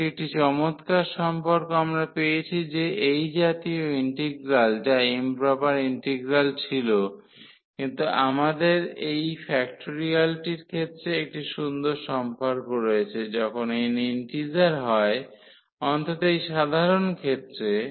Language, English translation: Bengali, So, that is a nice relation we got that such integral which was improper integral, but we have a nice relation in terms of the this factorial when n is integer at least in this simple case